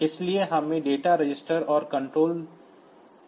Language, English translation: Hindi, So, we have got data registers and control registers